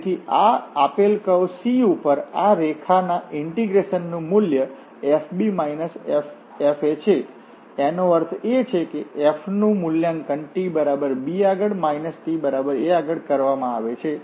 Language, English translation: Gujarati, So, the value of this integral of this line integral over this given curve C is fb minus fa, that means, the f is evaluated for t is equal to b and minus f is evaluated at t is equal to a